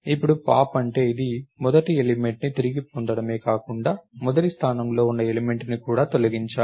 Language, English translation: Telugu, What is pop now, it not only retrieves the first element, it should also delete the element at the first position